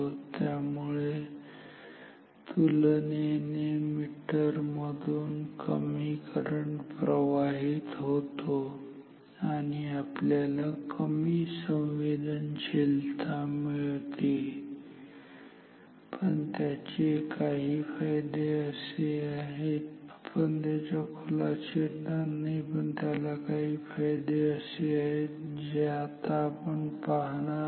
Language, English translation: Marathi, So, less current comparatively less current flows through this meter and this will have lesser sensitivity, but it has some other advantages in some I mean we are not going into that detail in this course, but it has some other advantages in which we are not going to discuss now